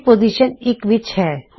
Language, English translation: Punjabi, A is in position 1